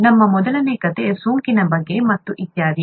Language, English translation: Kannada, Our first story was about infection and so on so forth